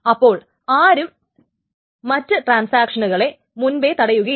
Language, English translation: Malayalam, So nobody preempts another transaction